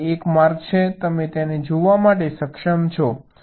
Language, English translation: Gujarati, because there is a path, you are able to see it